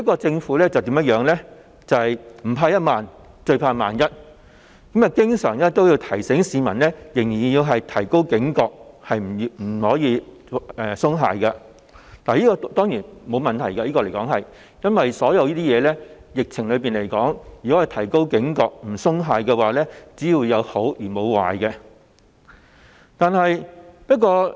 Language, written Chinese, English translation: Cantonese, 政府不怕一萬，最怕萬一，經常提醒市民仍要提高警覺，不可鬆懈，這樣當然沒有問題，因為就疫情來說，市民提高警覺和不鬆懈，只有好處，沒有壞處。, Certainly there is no problem with the Government taking precautions by constantly reminding the public of the need to stay highly alert and remain vigilant . After all as far as the epidemic is concerned it will bring nothing but benefits with the public being more alert and vigilant